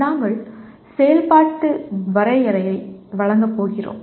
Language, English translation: Tamil, We are going to give an operational definition